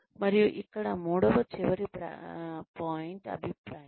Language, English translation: Telugu, And, the third, the last point here is, feedback